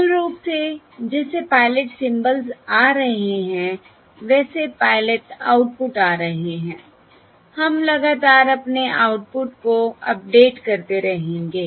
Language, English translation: Hindi, Basically, as the pilot symbols are arriving, as the pilot outputs are arriving, we are going to continuously keep updating our estimation